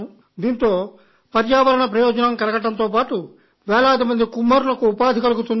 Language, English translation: Telugu, This will not only help the environment, but will also provide employment to many potter families